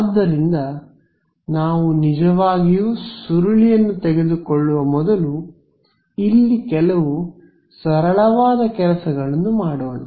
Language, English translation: Kannada, So, let us before we actually take the curl is do some simple sort of things over here